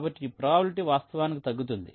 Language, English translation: Telugu, so it will be this probability were actually go down